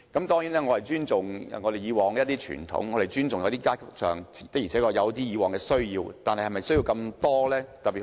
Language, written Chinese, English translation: Cantonese, 當然，我尊重以往的傳統，也尊重一些階級以往有那種需要，但是否需要那麼多用地？, Of course I respect the past tradition and I also respect that certain classes of people had such needs in the past but is it necessary for them to occupy such large pieces of land?